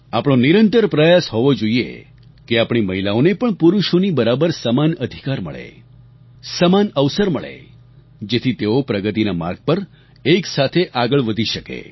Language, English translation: Gujarati, It should be our constant endeavor that our women also get equal rights and equal opportunities just like men get so that they can proceed simultaneously on the path of progress